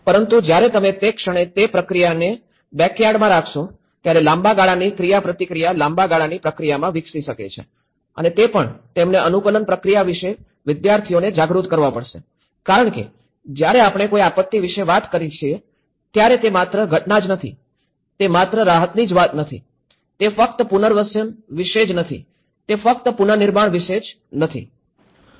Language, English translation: Gujarati, But when the moment you keep in the backyard at least in that process, long run interaction can develop maybe in a long run process and also, we have to make them the students aware of the adaptation process because when we talk about a disaster, itís not just only the event, itís not only about the relief, itís not only about the rehabilitation, it is not only about the reconstruction